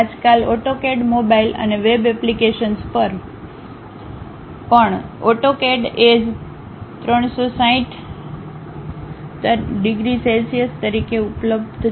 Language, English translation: Gujarati, Nowadays, AutoCAD is available even on mobile and web apps as AutoCAD 360